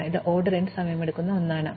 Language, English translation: Malayalam, So, this is something which takes order n time